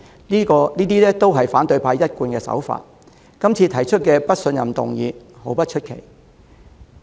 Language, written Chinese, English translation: Cantonese, 這本是反對派的慣技，今次提出不信任議案並不叫人意外。, Given that such a ploy is typical of the opposition this no - confidence motion should come as no surprise